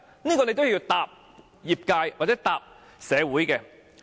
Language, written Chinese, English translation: Cantonese, 這是你都要回答業界或社會的問題。, Mr CHAN Chun - ying has to give an answer to the industry or the community